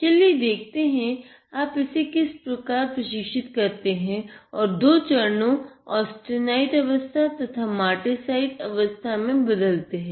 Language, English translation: Hindi, So, let us see how you can train this and move between the two phases; that is the austenite and the martensite phase